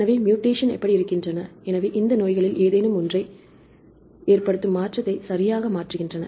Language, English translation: Tamil, So, how are the mutations, they change the of the mutations right they cause any of these diseases